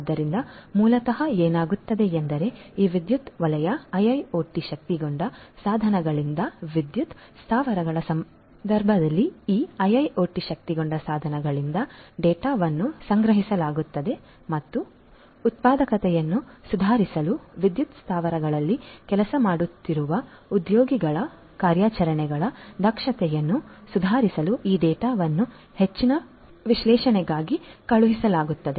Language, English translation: Kannada, So, the basically what happens is, the data are collected from these IIoT enabled devices in the case of power plants from these power sector IIoT enabled devices and these data are sent for further analysis to improve the productivity to improve the efficiency of operations of the workforce that is working in the power plants and so on